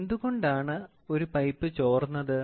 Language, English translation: Malayalam, So, why is a pipe leaking